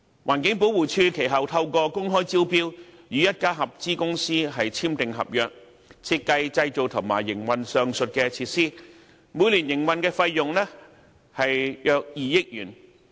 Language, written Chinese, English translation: Cantonese, 環境保護署其後透過公開招標，與一家合資公司簽訂合約，設計、製造、營運上述設施，每年營運費用約2億元。, Subsequently the Environmental Protection Department after completing an open tender process signed a contract with a joint venture company for the design building and operation of the aforesaid WEEETRF and the annual operating cost is about 200 million